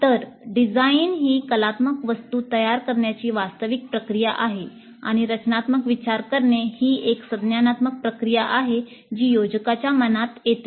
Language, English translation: Marathi, So design is the actual process of creating the artifact and the thinking is, design thinking is the cognitive process which goes through in the minds of the designers